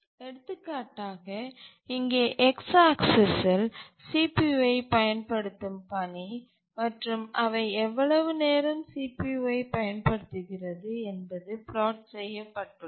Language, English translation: Tamil, On the x axis here we have plotted the tasks that are using CPU and for how long they are using the CPU